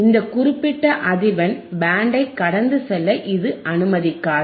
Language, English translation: Tamil, iIt will not allow this particular band of frequency to pass